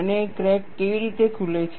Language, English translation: Gujarati, And, how does the crack open